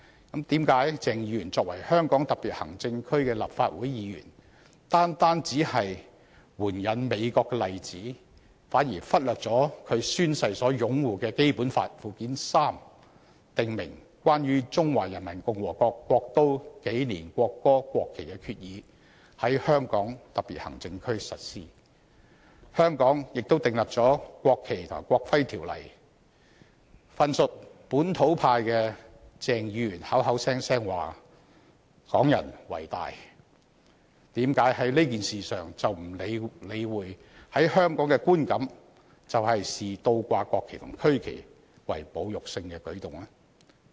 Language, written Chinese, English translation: Cantonese, 為何鄭議員作為香港特別行政區的立法會議員，只是援引美國的例子，反而忽略了他宣誓擁護的《基本法》附件三訂明在香港特別行政區實施的《關於中華人民共和國國都、紀年、國歌、國旗的決議》，以及香港已訂立的《國旗及國徽條例》？份屬本土派的鄭議員口口聲聲說"港人為大"，為何在這件事上卻不理會在香港的觀感是視倒掛國旗和區旗為侮辱性的舉動？, Why did Dr CHENG as a Legislative Council Member of the Hong Kong Special Administrative Region only quote the example of the United States but neglect the Resolution on the Capital Calendar National Anthem and National Flag of the Peoples Republic of China as applied in the Hong Kong Special Administrative Region as stated in Annex III to the Basic Law which he had sworn to uphold and the National Flag and National Emblem Ordinance already in place in Hong Kong? . While claiming Hongkongers are the highest on this issue why does Dr CHENG of the localists pay no heed to the fact that inverting the national and regional flags is perceived in Hong Kong as an insulting act?